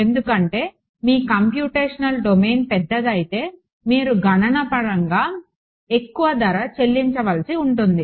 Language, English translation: Telugu, Because any I mean the larger your computational domain the more price you will have to pay in terms of computation ok